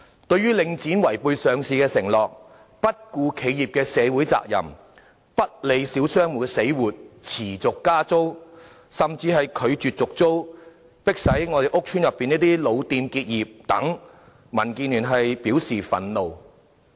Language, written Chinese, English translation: Cantonese, 對於領展違背上市的承諾、不顧企業社會責任、不理小商戶的死活、持續加租，甚至拒絕續租，迫使屋邨內的老店結業等，民建聯表示憤怒。, We are enraged by Link REIT breaking its promises made at the time of listing evading its corporate social responsibility disregarding the livelihood of small shop operators sustaining rental increases and even refusing to renew existing leases forcing old shops in public housing estates to close down